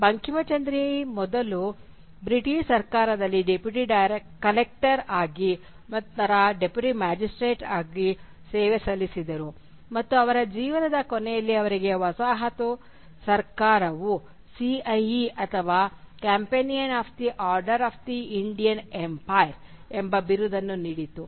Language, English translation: Kannada, Bankimchandra served the British government first as a Deputy Collector and then as a Deputy Magistrate and near the end of his life he was awarded by the colonial government with the title of CIE or the Companion of the Order of the Indian Empire